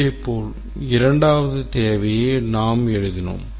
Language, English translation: Tamil, Similarly, you can number the second requirement